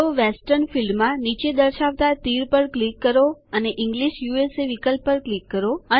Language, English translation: Gujarati, So click on the down arrow in the Western field and click on the English USA option